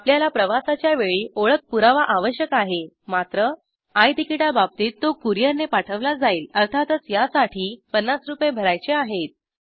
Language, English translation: Marathi, You need identity proof at the time of travel however, In case of I Ticket it will be sent by a courier of course you have to pay for this about Rs 50